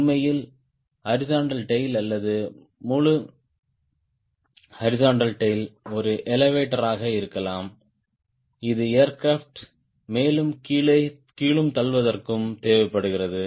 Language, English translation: Tamil, in fact, part of the horizontal tail or whole horizontal tail could be an elevator which is required to pitch the aircraft up and down